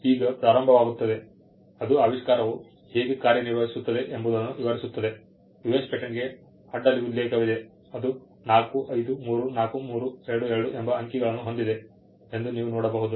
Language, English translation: Kannada, Now it just starts it describes the invention how it works, there is a cross reference to a US patent, you can see that 4534322 and you have figures here